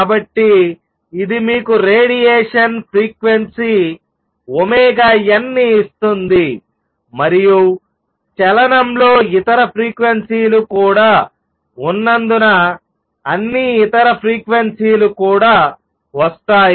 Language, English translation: Telugu, So, it will give you frequency of radiation omega n and since the motion also contains other frequencies all the other frequencies will also come out